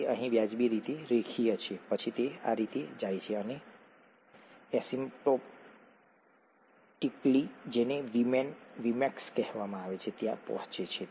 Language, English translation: Gujarati, It is reasonably linear here, then it goes like this and asymptotically reaches what is called a Vm, Vmax